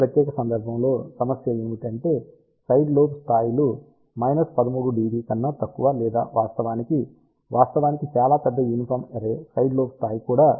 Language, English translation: Telugu, For this particular case the problem is that side lobe levels are less than minus 13 dB or so in fact, in fact even for a very large uniform array side lobe level can be at best 13